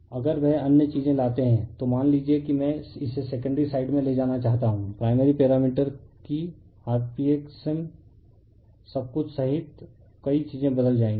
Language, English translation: Hindi, If you bring that other things suppose I want to take it to the secondary side the primary parameters that many things will change including your rp xm everything